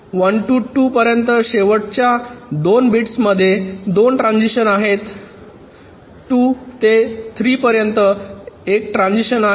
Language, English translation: Marathi, there are two transitions in the last two bits from two to three